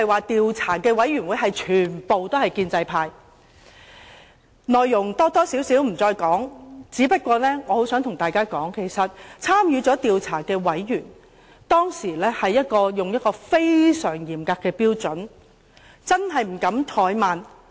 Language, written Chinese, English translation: Cantonese, 調查委員會討論的內容我不再複述，不過，我想告訴大家，其實參與調查的委員，當時抱持非常嚴格的標準，真的不敢怠慢。, I would not repeat the discussion held at the investigation committee but would like to point out that members involved in the investigation had all applied very rigorous standards never daring to have the slightest thought of neglect